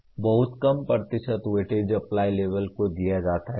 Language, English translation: Hindi, And only very small percentage of weightage is given to Apply level